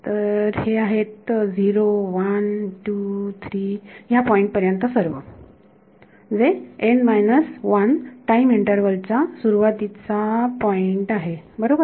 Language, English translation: Marathi, So, this is 0 1 2 3 all the way up to this point which is n minus 1 starting point of the time interval right